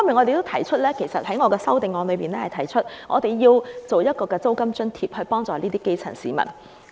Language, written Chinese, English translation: Cantonese, 另一方面，我在修正案建議提供租金津貼幫助基層市民。, On the other hand I propose in my amendment the provision of a rental allowance to help the grass roots